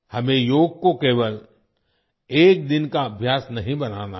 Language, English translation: Hindi, We do not have to make Yoga just a one day practice